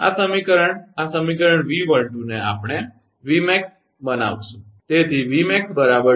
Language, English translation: Gujarati, So, this equation this equation, instead of V12 we will make this is Vmax, right